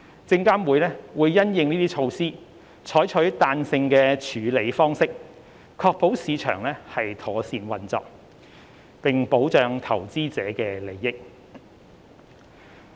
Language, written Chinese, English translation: Cantonese, 證監會因應這些措施，採取彈性的處理方式，確保市場妥善運作，並保障投資者的利益。, In light of this SFC is pursuing a flexible approach to ensure that markets continue to function properly while safeguarding investor protection